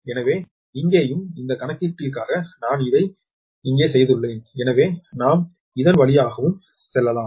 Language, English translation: Tamil, so here also for this calculation i have made it here also, for we can go through this one also, right